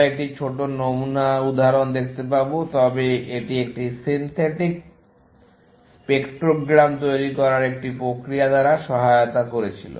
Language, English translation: Bengali, We will see a small sample example, but this was aided by a process of generating a synthetic spectrogram